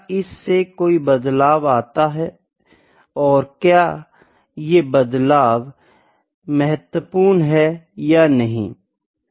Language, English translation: Hindi, Is it bringing some change, actually is it significant or not